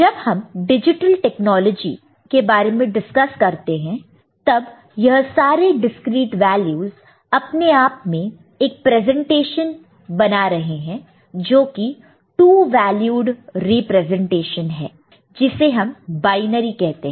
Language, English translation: Hindi, And we are in this particular context, when we discuss digital technology these discreet values are making a presentation of itself by a 2 valued representation, which is binary